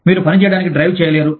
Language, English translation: Telugu, You cannot drive to work